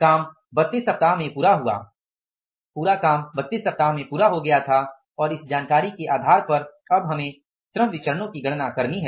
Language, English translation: Hindi, The work was completed in 32 weeks and now on the basis of this information we have to calculate the labor variances